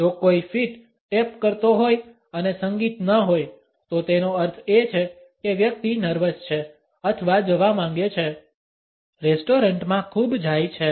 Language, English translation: Gujarati, If a foot is tapping and there is no music; that means, the person is nervous or wants to go; go to restaurants much